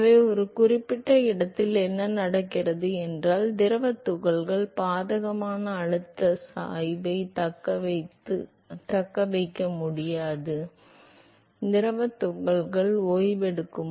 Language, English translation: Tamil, So, much that at a certain location what happens is that the fluid particles will is no more able to sustain the adverse pressure gradient and therefore, the fluid particles will come to rest